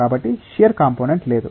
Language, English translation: Telugu, So, there is no shear component